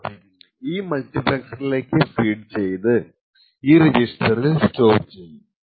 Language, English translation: Malayalam, Now the output of F is fed back through this multiplexer and gets latched in this register